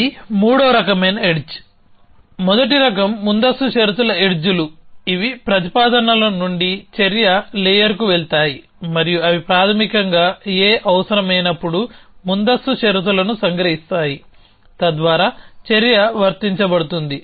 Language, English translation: Telugu, So, that is a third kind of edge, so first kind is precondition edges which go from a propositions to an action layer and they basically capture the preconditions that A is necessary, thus action to be applicable